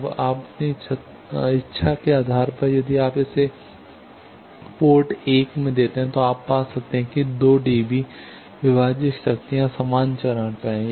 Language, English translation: Hindi, Now, depending on your wish if you give it at port 1 you can get that the 2 dB divided powers they are at equal phase